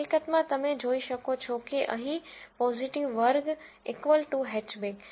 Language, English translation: Gujarati, In fact, you can see that here positive class is equal to hatchback